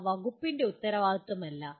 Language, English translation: Malayalam, They are not the responsibility of the department